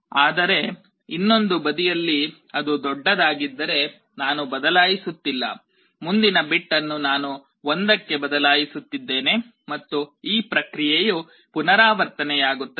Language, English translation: Kannada, But on the other side if it is greater than, I am not changing, the next bit I am changing to 1, and this process repeats